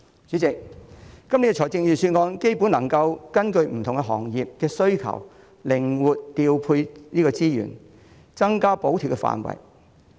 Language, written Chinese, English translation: Cantonese, 主席，今年的預算案基本上能夠根據不同行業的需求靈活調配資源，增加補貼範圍。, President this years Budget can basically achieve flexible allocation of resources with expanded scope of subsidies based on the needs of various sectors